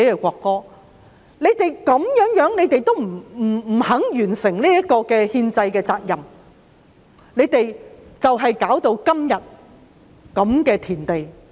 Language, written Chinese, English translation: Cantonese, 反對派堅決不肯完成這項憲制責任，結果弄到今日如斯田地。, The opposition camps stern refusal to fulfil this constitutional obligation has brought us to the present plight